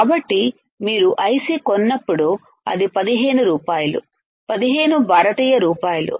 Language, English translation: Telugu, So, when you buy a IC, it will be like 15 rupees, 15 Indian rupees right